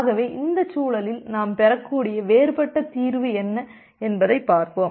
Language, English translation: Tamil, So let us see what are the different possible solution that can we that can have in this context